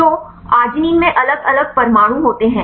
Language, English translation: Hindi, So, there are different atoms in arginine